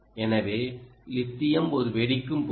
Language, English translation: Tamil, so lithium is an explosive